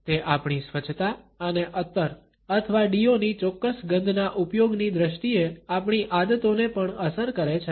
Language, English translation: Gujarati, It is also influenced by our habits in terms of our hygiene and the use of a particular smell in the shape of a perfume or deo